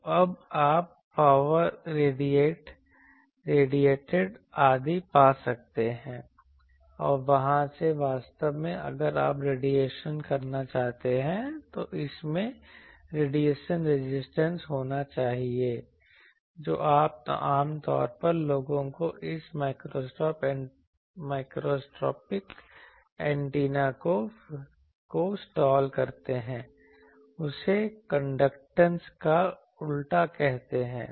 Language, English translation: Hindi, And from there actually you need to have if you wants to radiate, it should have radiation resistance which generally slot people this microstrip antenna people they call the inverse of that conductance